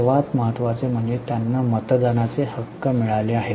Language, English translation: Marathi, The most important is they have got voting right